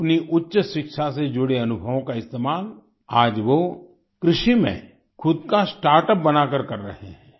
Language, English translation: Hindi, He is now using his experience of higher education by launching his own startup in agriculture